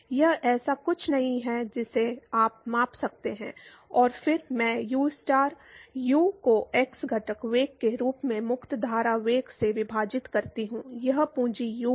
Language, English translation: Hindi, It is not something that you can measure and then I scale ustar u as the x component velocity divided by the free stream velocity, it is capital U